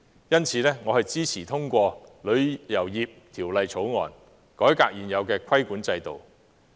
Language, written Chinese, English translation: Cantonese, 因此，我支持通過《條例草案》，改革現有的規管制度。, Thus I support the passage of the Bill to reform the existing regulatory regime